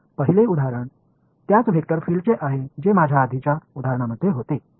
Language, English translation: Marathi, So, the first example is the same vector field that I had in the previous example right